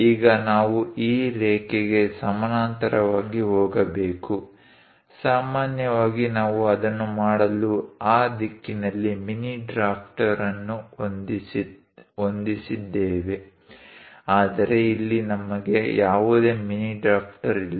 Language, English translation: Kannada, Now, we have to go parallel to this line; usually, we have mini drafter adjusted in that direction to do that, but here we do not have any mini drafter